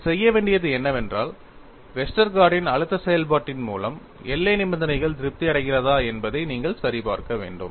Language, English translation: Tamil, What you will have to do is, you will have to verify whether the boundary conditions are satisfied by the Westergaard’s stress function; in fact, you have already got the solution